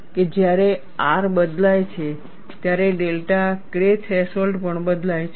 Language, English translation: Gujarati, And when R changes, delta K threshold also changes